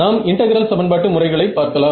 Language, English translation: Tamil, So, when we come to integral equation methods ok